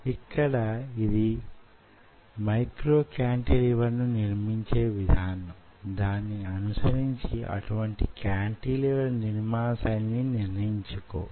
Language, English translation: Telugu, here it is fabrication of micro cantilever, followed by how you can pattern such cantilevers